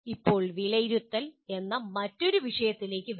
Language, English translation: Malayalam, Now come to the another topic “assessment”